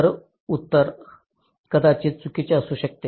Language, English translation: Marathi, so the answer might be wrong